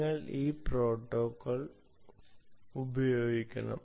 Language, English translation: Malayalam, you should use this protocol